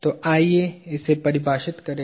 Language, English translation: Hindi, So, let us define it